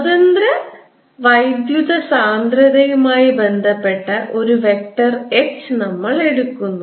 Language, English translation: Malayalam, we are introducing a vector h which is related to free current density